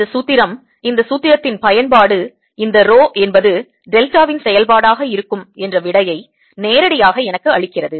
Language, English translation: Tamil, this formula, use of this formula directly, gives me this answer, with rho being the delta function